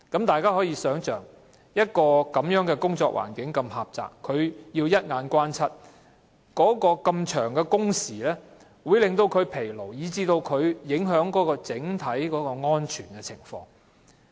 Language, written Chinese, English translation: Cantonese, 大家可以想象，車長在一個如此狹窄的環境工作，又要留意四周的交通情況，這麼長的工時會令他們疲勞，以致影響整體的安全情況。, Imagine The bus captains work in such a narrow space and have to stay alert to the surrounding traffic conditions . Such long working hours will wear them out and the overall safety will hence be compromised